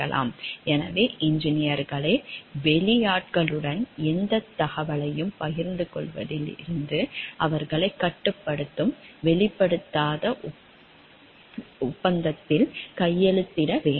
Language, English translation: Tamil, So, engineers today have 2 sign a nondisclosure agreement which binds them from sharing any information with outsiders